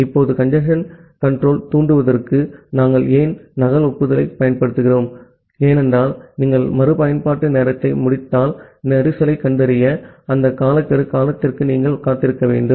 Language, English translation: Tamil, Now, why we use basically the duplicate acknowledgement to trigger a congestion control, because if you use retransmission timeout, you have to wait for that timeout duration to detect a congestion